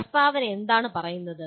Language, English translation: Malayalam, What does the statement say